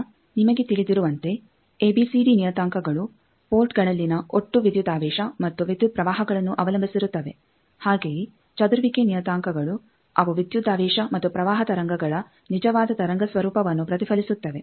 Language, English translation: Kannada, Now, as you know that ABCD parameter depends on total voltage and current at ports whereas, scattering parameters they reflect the true wave nature of the voltage and current waves